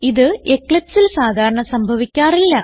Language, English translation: Malayalam, It does not happens usually on Eclipse